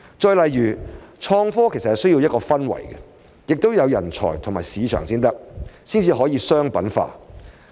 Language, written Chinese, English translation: Cantonese, 再例如，創科需要一個氛圍，也要有人才和市場，才能商品化。, Atmosphere talents and markets are indispensable for the commercialization of innovation and technology